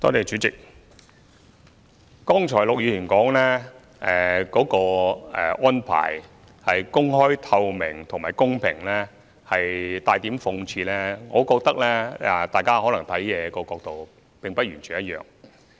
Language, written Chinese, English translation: Cantonese, 主席，陸議員剛才提到銷售安排的透明度及公平性帶點諷刺，我認為大家看事物的角度並不完全一樣。, President Mr LUK said just now that the transparency and fairness of the sale arrangement were somewhat ironical but I think the angles from which we look at matters are not entirely the same